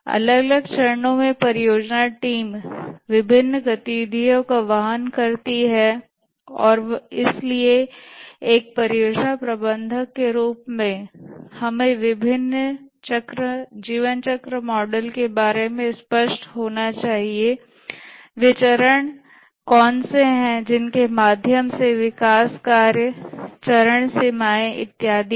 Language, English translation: Hindi, At different stages, the project team carries out different activities and therefore as a project manager we must be clear about the various lifecycle models, what are the stages through which the development proceeds, the stage boundaries and so on